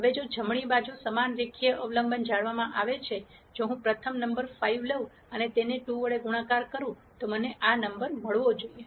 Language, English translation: Gujarati, Now if the same linear dependence is maintained on the right hand side; that is if I take the first number 5 and multiply it by 2 I should get this number